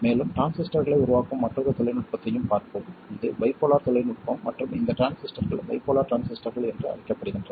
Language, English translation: Tamil, Then we will also look at another technology of making transistors which is the bipolar technology and these transistors are known as bipolar transistors